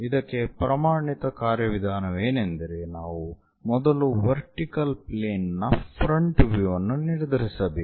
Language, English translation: Kannada, The standard procedure is first decide the vertical plane front view